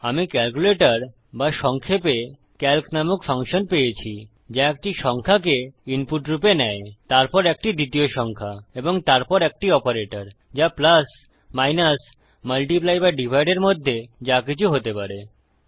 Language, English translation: Bengali, I have got a function called calculator or calc for short, which takes a number as input, then a second number and then an operator which could be either plus minus multiply or divide